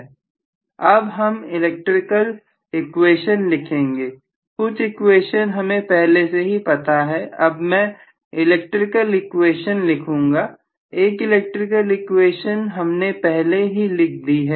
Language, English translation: Hindi, Let me now try to write the electrical equation, these are some of the equations which we already knew, let me try to write the electrical equations, we wrote one of the electrical equation already